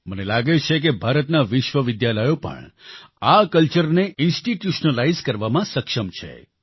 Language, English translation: Gujarati, I think that universities of India are also capable to institutionalize this culture